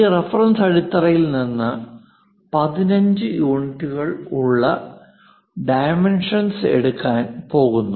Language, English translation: Malayalam, From that reference base we are going to have such kind of dimension, 15 units